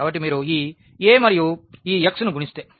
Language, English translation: Telugu, So, if you multiply this A and this x